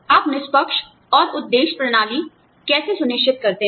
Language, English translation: Hindi, How do you ensure, fair and objective systems